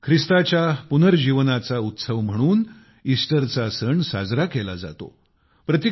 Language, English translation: Marathi, The festival of Easter is observed as a celebration of the resurrection of Jesus Christ